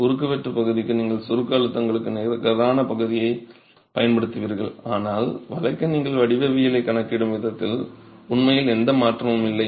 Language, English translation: Tamil, For area of cross section you would use net area for compression, compresses stresses, but for bending you have literally no change in the way you account for the geometry